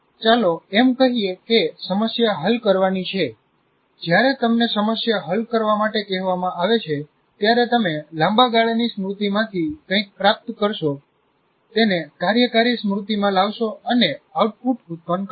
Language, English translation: Gujarati, When you are asked to solve a problem, you will retrieve something from the long term memory, bring it to the working memory, and produce an output